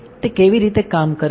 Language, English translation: Gujarati, How does it work